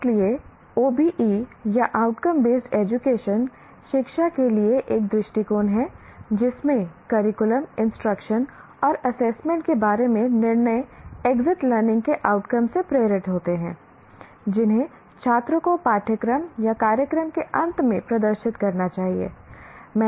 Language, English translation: Hindi, So, OBE or outcome based education is an approach to education in which decisions about the curriculum, instruction and assessment are driven by the exit learning outcomes that students should display at the end of a course or a program